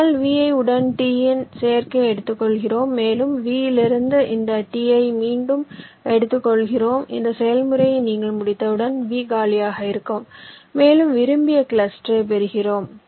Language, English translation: Tamil, we take the union of t with v, i, and we take out this t from v repeatedly and once you complete this process, this said v will be empty and we get our ah just desired cluster